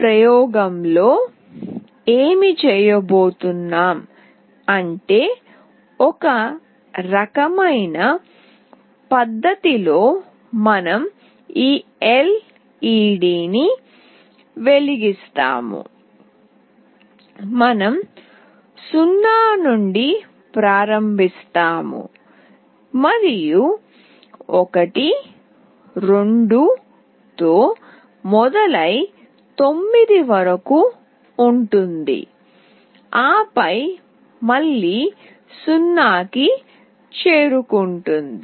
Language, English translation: Telugu, What we will be doing in this experiment is that we will be glowing the LED in some fashion, we will start from 0 and it will be a going to 1, 2 up to 9, and then again back to to 0